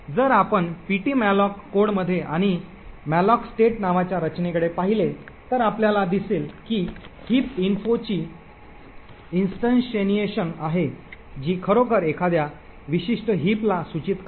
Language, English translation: Marathi, So, if you look in the ptmalloc code and into the structure called malloc state you would see that there is an instantiation of heap info which would actually be a pointer to a particular heap